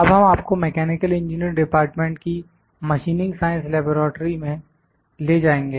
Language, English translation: Hindi, Now, we will take you to the Machining Science Laboratory in Mechanical Engineering department